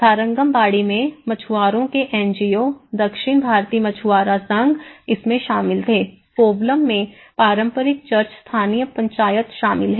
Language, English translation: Hindi, In Tharangambadi the fishermen NGOs, South Indian fishermen federation societies they were involved in it, in Kovalam the traditional church the local Panchayat is involved